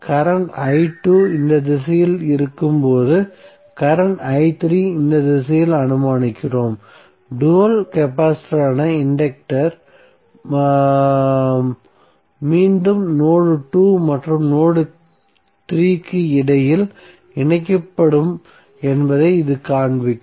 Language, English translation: Tamil, Because we are assuming current i3 in this direction while current i2 would be in this direction, so this will show that the inductor dual that is capacitor again would be connected between node 2 and node3